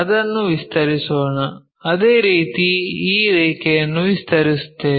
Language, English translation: Kannada, So, let us extend that, similarly extend this line